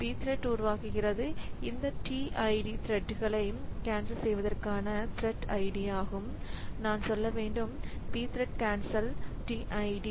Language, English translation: Tamil, So, P thread creates, so this T ID was the thread ID for canceling this thread, so I should say P thread cancel T ID